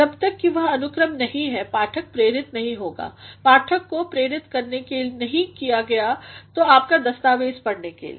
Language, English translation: Hindi, Unless and until that order is, the reader will not be induced reader cannot be induced into reading your document